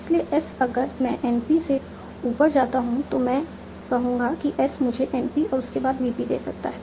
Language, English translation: Hindi, So, yes, if I grow NP upwards, I will say, OK, as can give me an p followed by VP